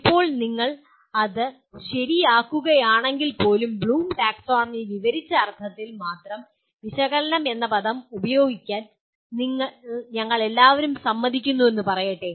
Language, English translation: Malayalam, Now even if you sort that out let us say we all agree to use the word analyze only in the sense that is described by Bloom’s taxonomy